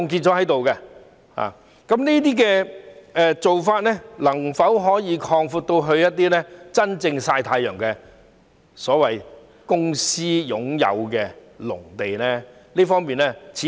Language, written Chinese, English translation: Cantonese, 這做法能否擴展至真正在"曬太陽"由公私營擁有的農地呢？, Can this practice be extended to agricultural lands under public and private ownerships that are genuinely idling under the sun?